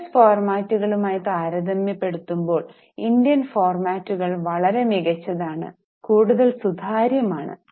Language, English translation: Malayalam, Indian formats are much better, much more transparent compared to US formats